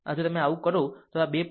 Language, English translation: Gujarati, So, if you do so, look this 2